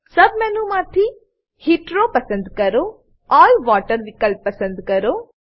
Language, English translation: Gujarati, From the sub menu,choose Heteroand click on All Water option